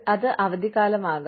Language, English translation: Malayalam, It could be vacations